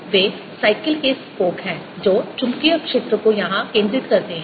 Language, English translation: Hindi, here they are, you know, bicycles spokes that make the magnetic field concentrated here